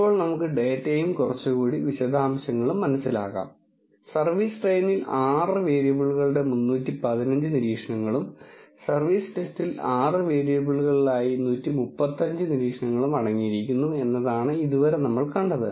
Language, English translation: Malayalam, Now, let us understand the data and little more detail What we have seen till now is the service train contains 315 observations of six variables, service test contains 135 observations in 6 variables